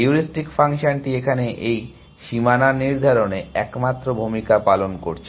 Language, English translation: Bengali, The only role the heuristic function is playing is in defining this boundary here